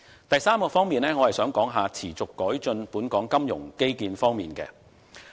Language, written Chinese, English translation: Cantonese, 第三方面，我想說一說持續改進本港金融基建方面。, The third thing I wish to discuss is the continuous improvement of Hong Kongs financial infrastructure